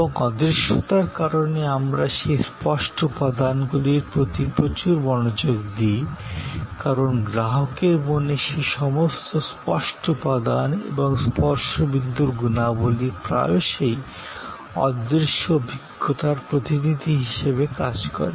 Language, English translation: Bengali, And because of the intangibility, we pay a lot of a attention to those tangible elements, because in the consumer’s mind, many of those tangible elements and the touch point qualities often act as a proxy for the intangible experience